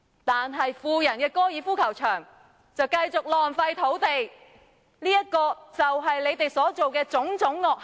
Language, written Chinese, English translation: Cantonese, 但是，富人的高爾夫球場就繼續浪費土地，這便是你們所作的種種惡行。, Basically the problem has not been solved but the golf course of the rich continues to waste our land . These are all sorts of evil deeds that you did